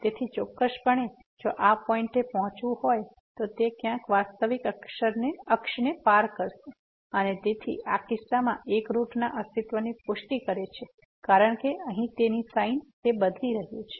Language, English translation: Gujarati, So, definitely to reach to this point it will cross somewhere the real axis and so, that proves the existence of one root in this case which confirms the existence of one root because this is changing its sign